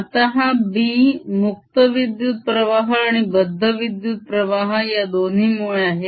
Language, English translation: Marathi, now, this b, due to both the free current as well as the bound currents